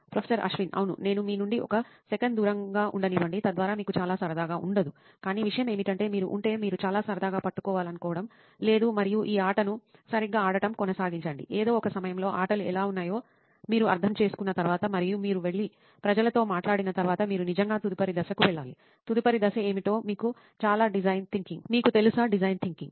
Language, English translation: Telugu, Yeah, so let me sort of move that away from you for a second, so that you don’t have a too much fun, but the thing is, if you, it is, you do not want to caught in having too much fun and just continue to play this game right, at some point after you understood what the games are like and after you go and talk to people, you really need to move on to the next phase, do you know what the next phase design thinking is